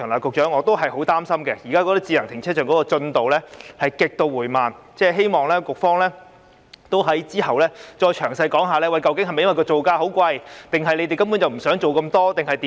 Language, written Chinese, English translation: Cantonese, 局長，我仍然很擔心，現時智能停車場的發展進度極度緩慢，希望局方稍後會詳細解釋，究竟是否因為造價昂貴，還是局方根本不想做那麼多工作？, The present progress of the development of smart car parks is extremely slow . I hope the Bureau will give a detailed explanation later . Is it because the construction cost is high or the Bureau does not want to do so much work in the first place?